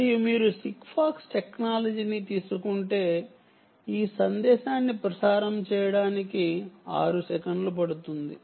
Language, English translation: Telugu, if you take the sigfox technology, if you take sigfox technology, um, it takes about six seconds to transmit this message